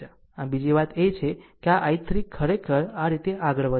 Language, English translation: Gujarati, So, another thing is that this i 3 actually moving like this, right